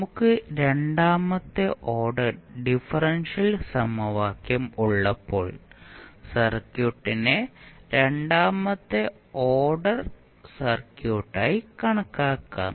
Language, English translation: Malayalam, So, when we have second order differential equation which governs that particular circuit that means that circuit can be considered as second order circuit